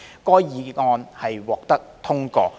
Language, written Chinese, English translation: Cantonese, 該議案獲得通過。, The motion was carried